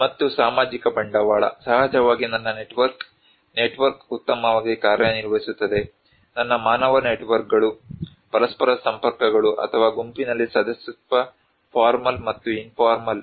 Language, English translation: Kannada, And social capital, of course my network, network works very well, my human networks, connections with each other or membership in a group, formal and informal